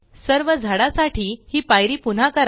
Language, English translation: Marathi, Repeat this step for all the trees